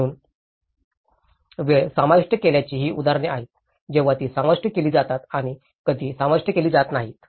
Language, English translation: Marathi, So, these are some of the examples of the time lapse when it is included and when it is not included